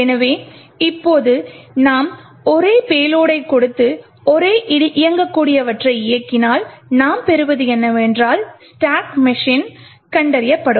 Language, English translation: Tamil, So now if you run the same executable giving the same payload, what we obtain is that stacks machine gets detected